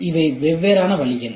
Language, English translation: Tamil, So, these are the different ways